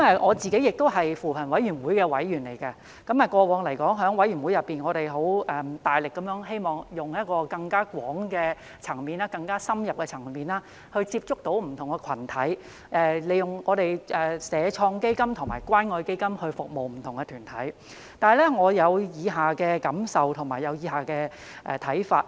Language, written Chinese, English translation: Cantonese, 我是扶貧委員會的委員，過往在委員會內，我們大力地工作，希望以更廣、更深入的層面接觸不同群體，利用社會創新及創業發展基金和關愛基金來服務不同團體，可是，我有以下的感受和看法。, I am a member of the Commission on Poverty CoP . In CoP we have devoted a lot of efforts to our work in the hope of reaching out to different groups more extensively and intensively and serving different groups with the Social Innovation and Entrepreneurship Development Fund and the Community Care Fund . But then I have the following feelings and views